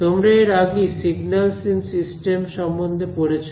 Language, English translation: Bengali, And all of you have done the course on something like signals in systems